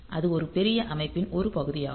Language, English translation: Tamil, So, it is or it is a part of a bigger system